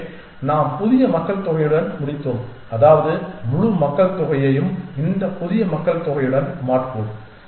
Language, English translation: Tamil, So, we ended up with the new population which means we replace the entire whole population with this new population